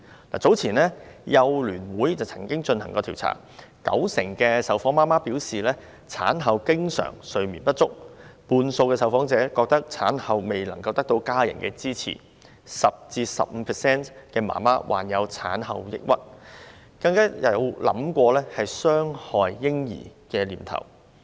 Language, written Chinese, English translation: Cantonese, 香港幼兒教育及服務聯會早前曾進行調查，九成受訪母親表示，產後經常睡眠不足，半數受訪者認為產後未能得到家人支持 ；10% 至 15% 的母親患有產後抑鬱症，更曾出現傷害嬰兒的念頭。, The Hong Kong Council of Early Childhood Education and Services conducted a survey earlier on . 90 % of the mothers interviewed said that they were often deprived of sleep after delivery . Half of the respondents held that they did not receive postpartum family support